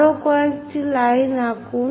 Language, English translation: Bengali, Draw few more lines